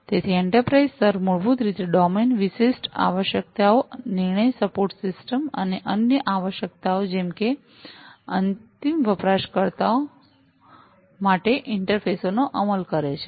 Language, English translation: Gujarati, So, the enterprise layer basically implements domain specific requirements, decision support systems, and other requirements such as interfaces to end users